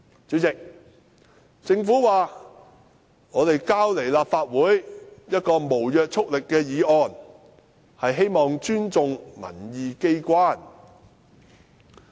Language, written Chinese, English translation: Cantonese, 主席，政府表示向立法會提交一項無約束力議案，是希望尊重民意機關。, President the Government says that the non - binding motion which it submitted to the Legislative Council seeks to show its respect for this public opinion body